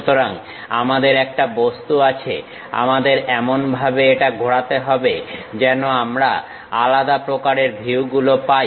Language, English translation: Bengali, So, we have an object, we have to rotate in such a way that we will have different kind of views